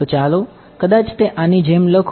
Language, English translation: Gujarati, So, let us may be let us write it like this